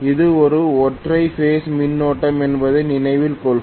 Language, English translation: Tamil, Please remember it is a single phase current